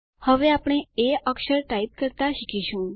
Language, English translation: Gujarati, We will now start learning to type the letter a